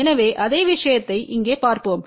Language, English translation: Tamil, So, the same thing let us see over here